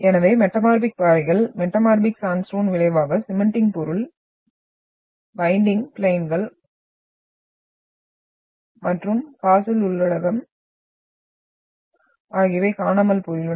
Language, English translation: Tamil, So metamorphic rocks, metamorphic sandstone results disappearance of the cementing material, bedding planes and fossils content if any in that